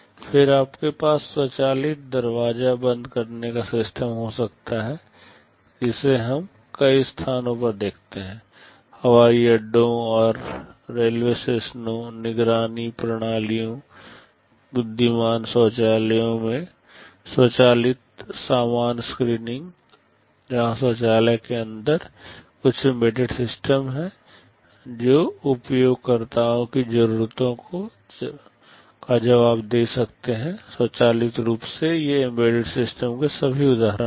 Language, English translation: Hindi, Then you can have automatic door locking systems we see it many places; automatic baggage screenings in airports and railway stations, surveillance systems, intelligent toilets, where there are some embedded systems inside toilets that can respond to users’ needs automatically these are all examples of embedded systems